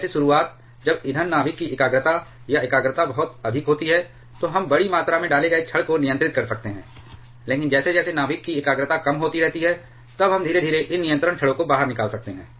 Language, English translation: Hindi, Like, the beginning ,when the fuel concentration or concentration of fuel nuclei is very high, we can have control rods inserted by a larger amount, but as the concentration of nuclei keeps on reducing, then we can gradually take these control rods out the